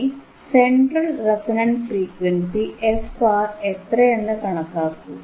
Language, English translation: Malayalam, cCalculate central resonant frequency f R is this, right